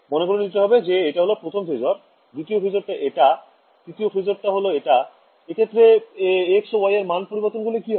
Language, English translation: Bengali, So, visualize this right the first is a phasor, second is a phasor, third is a phasor right, as I change the values of x and y what will happen